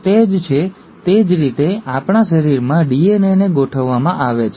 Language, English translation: Gujarati, So, that is what, that is how the DNA in our body is organized